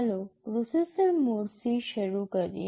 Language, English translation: Gujarati, Let us start with the processor modes